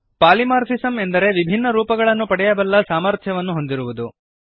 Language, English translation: Kannada, Polymorphism is the ability to take different forms